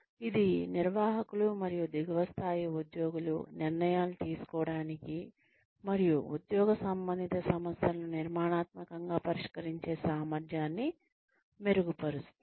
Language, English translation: Telugu, It improves, the ability of managers, and lower level employees, to make decisions, and solve job related problems, constructively